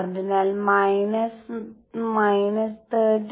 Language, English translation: Malayalam, So minus 13